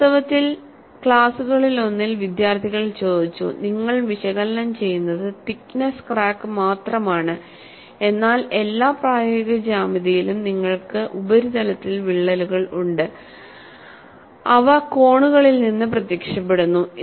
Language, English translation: Malayalam, In fact, in one of the classes, the students have asked, you are analyzing only through the thickness crack, whereas, in all practical geometry, you have cracks on the surface, appearing from corners; how these theories could be utilized in those situations